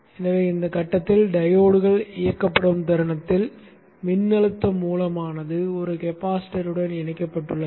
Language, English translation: Tamil, So the moment the diodes turn on at this point, the diodes turn on at this point, a voltage source is seen connected to a capacitance